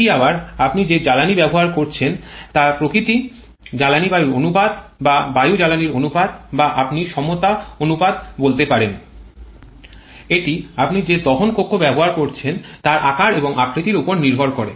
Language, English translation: Bengali, That again is a function of the nature of the fuel that you are using and the fuel air ratio or air fuel ratio or you can say the equivalence ratio that depends on the shape and size of the combustion chamber that you are dealing with